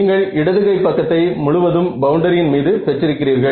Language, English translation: Tamil, So, you have the left hand side is purely over the boundary